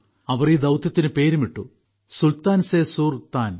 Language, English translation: Malayalam, They named this mission of their 'Sultan se SurTan'